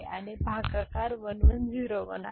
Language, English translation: Marathi, And divisor is 1 1 0 1